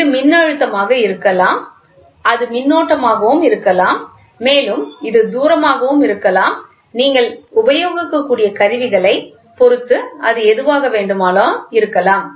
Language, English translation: Tamil, It can be voltage, it can be current, it can be distance whatever it is depending upon instruments you can start doing it